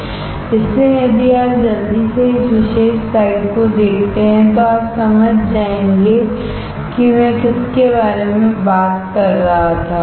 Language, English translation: Hindi, So, if you quickly see this particular slide you will understand what I was talking about right